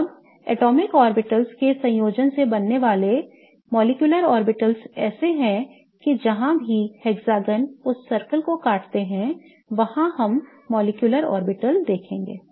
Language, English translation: Hindi, Now, the molecular orbitals by the combination of atomic orbitals that are formed are such that wherever the hexagon cuts the circle, that is where we will see the molecular orbital form